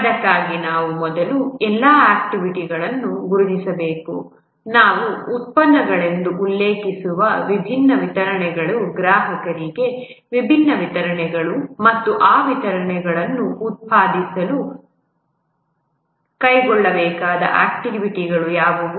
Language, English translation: Kannada, For that we need to first identify all the activities, the different deliverables which we refer to as products, the different deliverables to the customer, and what are the activities to be undertaken to produce those deliverables